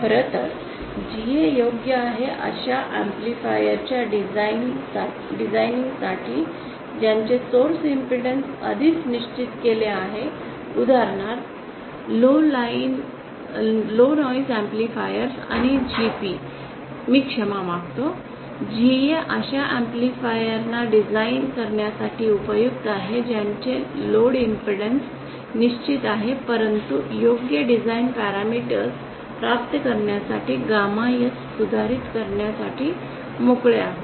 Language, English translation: Marathi, In fact GA is suitable for designing those amplifiers whose source impedance is already fixed for example low noise amplifiers and GP is, I beg your pardon GA is useful for designing those amplifiers whose load impedance is fixed but we are free to modify gamma S to obtain appropriate design parameters